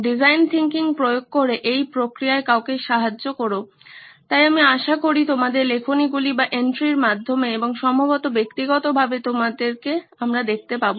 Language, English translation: Bengali, Help somebody in the process by applying design thinking, so I hope to see you through your entries and probably in person as well